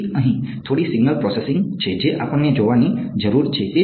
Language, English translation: Gujarati, So, here is where there is a little bit of signal processing that we need to look at ok